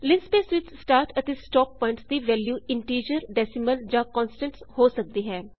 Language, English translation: Punjabi, In linspace the start and stop points can be integers, decimals , or constants